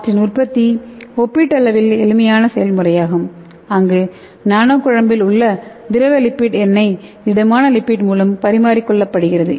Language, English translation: Tamil, And their production is relatively simple process where the liquid lipid oil in a nano emulsion is exchanged by a solid lipids okay